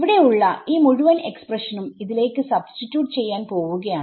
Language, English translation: Malayalam, So, this whole expression right this whole expression over here is going to get substituted into here